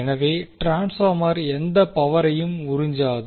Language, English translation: Tamil, So, transformer will absorb no power